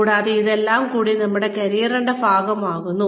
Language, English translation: Malayalam, And, all of this constitutes, our career